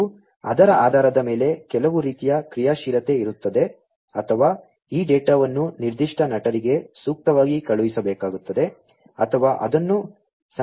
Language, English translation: Kannada, And, based on that either there would be some kind of an actuation or, this data will have to be sent appropriately to certain actor or, it has to be stored, right